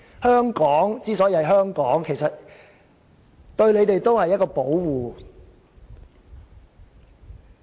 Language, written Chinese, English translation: Cantonese, 香港之所以是香港，對他們其實也是一種保護。, The way Hong Kong stays as Hong Kong is actually a kind of protection for them